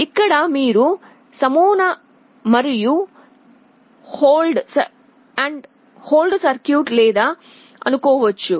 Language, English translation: Telugu, Here you may assume that there is no sample and hold circuit